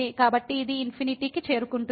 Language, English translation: Telugu, So, this will approach to infinity